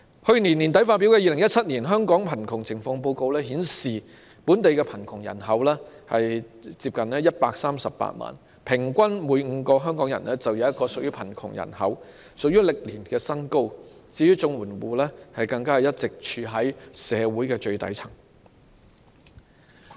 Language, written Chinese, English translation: Cantonese, 去年年底發表的《2017年香港貧窮情況報告》顯示，本地貧窮人口接近138萬，平均每5名香港人便有1人屬於貧窮人口，創歷年新高，而綜援戶更一直處於社會最底層。, The Hong Kong Poverty Situation Report 2017 published at the end of last year reveals that the local poor population is nearly 1.38 million . It means that on average one out of every five HongKongers is living in poverty hitting a record high and CSSA households are all along at the lowest stratum of our society